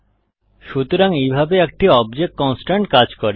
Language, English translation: Bengali, So this is how an object constraint works